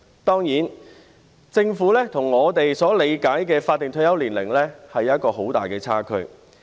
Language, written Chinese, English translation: Cantonese, 當然，政府跟我們在理解法定退休年齡上有一個很大的差距。, Certainly the Governments understanding of the statutory retirement age and our understanding of it are very different